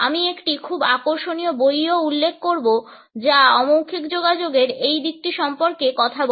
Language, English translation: Bengali, I would also refer to a very interesting book which talks about this aspect of non verbal communication